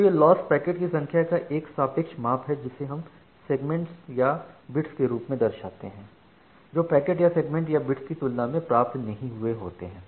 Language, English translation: Hindi, So this loss is a relative measure of the number of packets or sometime we represent it in the form of segments or bits, that were not received compared to the total number of packets or segments or bits